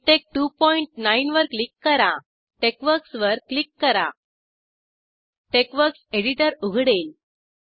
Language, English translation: Marathi, Click on MikTeX2.9 Click on TeXworks TeXworks editor will open